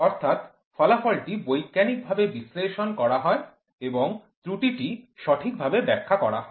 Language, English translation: Bengali, The results are scientifically analyzed and the errors are wisely interpreted